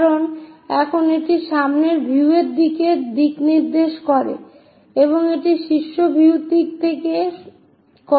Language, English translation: Bengali, Because now, this is the direction for front view direction, this is the top view direction